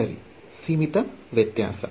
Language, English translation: Kannada, Right, finite difference